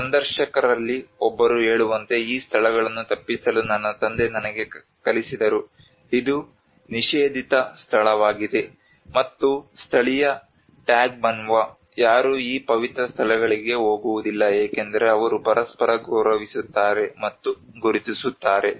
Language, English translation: Kannada, Like one of the interviewers say that my father taught me to avoid these places it is a forbidden place, and none of the indigenous Tagbanwa would go to these sacred places because they mutually respect and recognize it